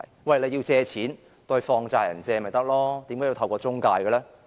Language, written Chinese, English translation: Cantonese, 如果要借錢，向放債人借便可，為何要透過中介呢？, Anyone who wishes to take out a loan can go to a money lender . Why should it be done through an intermediary?